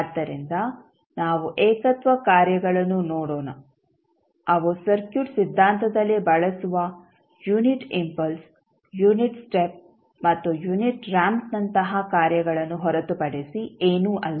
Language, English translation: Kannada, So, let us see that the singularity functions which we use in the circuit theory are nothing but the functions which are like unit impulse, unit step and unit ramp